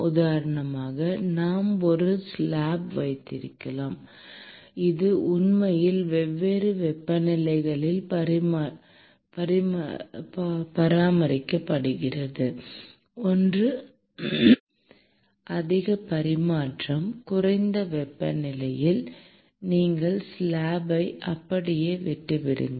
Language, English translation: Tamil, For instance, we may have a slab which is actually maintained at different temperatures and one at a higher and one at a lower temperature; and you just leave the slab as it is